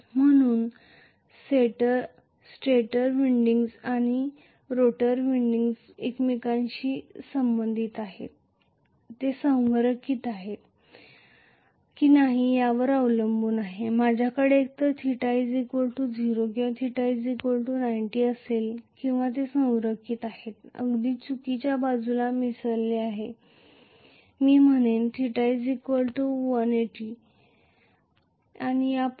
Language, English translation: Marathi, So, depending upon whether the stator windings and the rotor windings are aligned with each other I am going to have either theta equal to zero or theta equal to 90 or they are aligned, misaligned exactly opposite I will say theta equal to 180 and so on and so forth